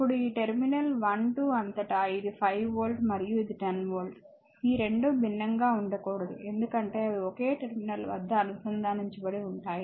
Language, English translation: Telugu, Now, this one across this terminal 1 2 this is a 5 volt and this is a 10 volt it cannot be 2 cannot be different right it has to be same because they are connected across the same terminal